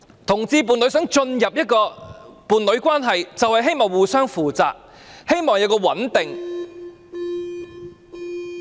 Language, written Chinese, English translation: Cantonese, 同志伴侶想進入伴侶關係，便是希望互相負責，希望穩定。, Homosexual couples wish to enter into a union because they want to be responsible to each other and establish a stable relationship